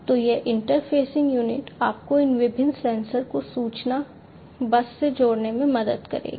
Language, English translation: Hindi, So, this interfacing unit will help you to connect these different sensors to the information bus